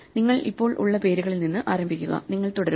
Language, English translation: Malayalam, So, you start with the names that you have and you go on